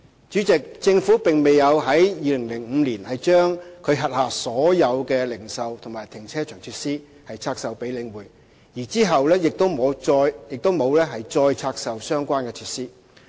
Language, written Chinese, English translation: Cantonese, 主席，房委會並沒有於2005年把其轄下所有的零售和停車場設施拆售給領匯，其後亦沒有再拆售相關的設施。, President HA did not divest all of its retail and car parking facilities in 2005 to The Link REIT . Neither did it divest the relevant facilities again subsequently